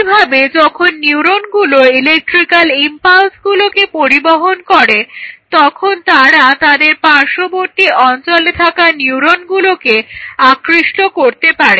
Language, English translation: Bengali, So, similarly when the neurons are carrying those current impulses, they may influence the surrounding neuron which is by its side